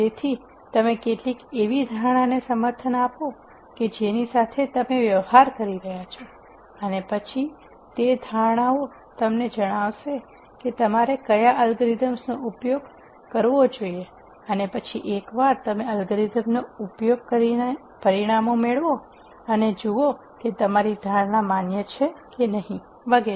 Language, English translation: Gujarati, So, you make some assumption support the data that you are dealing with and then those assumptions tell you what algorithms you should use and then once you run the algorithm you get the results and see whether your assumptions are validated and so on